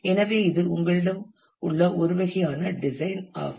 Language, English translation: Tamil, So, this is a one kind of a design that you have ok